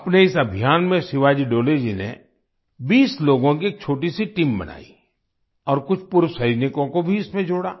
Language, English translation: Hindi, In this campaign, Shivaji Dole ji formed a small team of 20 people and added some exservicemen to it